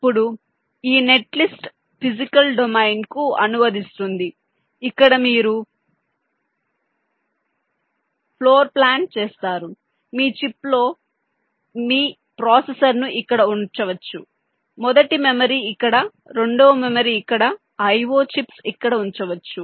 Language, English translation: Telugu, now this net list would translate in to physical domain where you do some kind of a chip level floor plant, like you decide that on your chip you can place your processor here, first memory here, second memory here, the i o, chips here